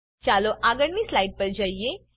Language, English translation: Gujarati, Let us go to the next slide